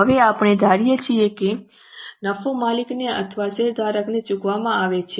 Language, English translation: Gujarati, Now we are assuming that that profit is paid to the owners or to the shareholders